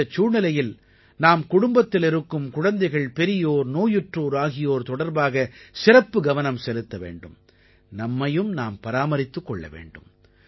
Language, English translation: Tamil, In this weather, we must take care of the children and elders in the family, especially the ailing and take precautions ourselves too